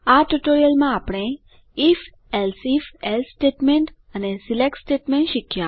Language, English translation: Gujarati, In this tutorial we have learnt the if elseif else statement and the select statement